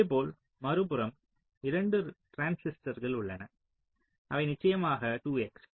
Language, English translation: Tamil, similarly, on the other side there are two transistors which are of course two x